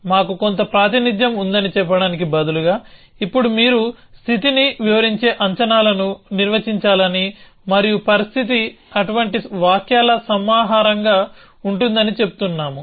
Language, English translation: Telugu, So, instead of saying that we have some state representation, now we are saying that you must be define a predicates which describe the state and the state will be a collection of such sentences